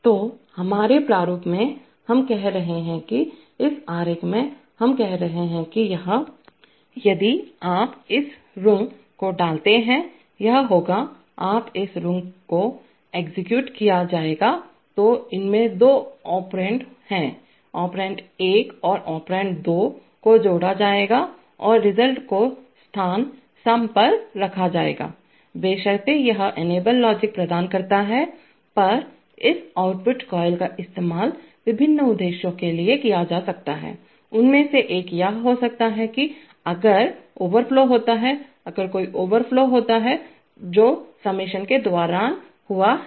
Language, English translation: Hindi, So, in our, in our format, we are saying that, by this diagram we are saying that this, If you put this rung, it is rung for doing the, it will, when this rung will be executed basically two operands, operand one and operand two will be added and there some will be put at the location sum, provided this enable logic is on and this output coil may be used for various purposes, one of them could be that if there is an overflow, if there is an overflow that has occurred during the summation